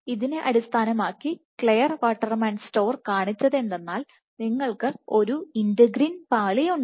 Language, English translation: Malayalam, So, based on this based on this what Clare Waterman Storer showed was you have integrin layer on top of which you had